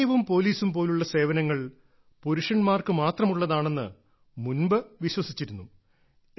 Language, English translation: Malayalam, Earlier it was believed that services like army and police are meant only for men